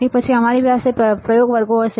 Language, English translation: Gujarati, After that we will have the experiment classes